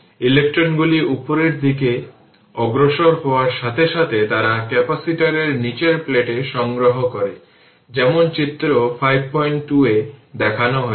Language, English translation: Bengali, As the electrons move upward, they collect on that lower plate of the capacitor as shown in figure 5